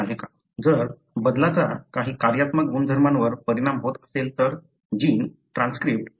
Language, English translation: Marathi, If the change affects some functional property of that, gene, the transcript and so on